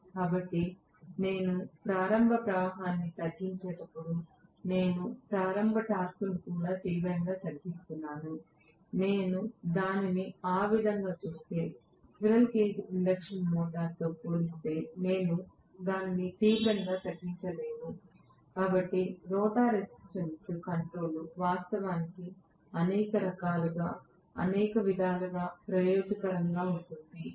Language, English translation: Telugu, So, when I am bringing down the starting current am I reducing the starting torque also drastically, if I look at it that way I would not be really reducing it drastically as compared to squirrel cage induction motor right, so rotor resistance control actually will be advantageous in several ways